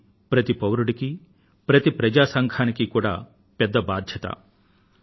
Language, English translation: Telugu, Every citizen and people's organizations have a big responsibility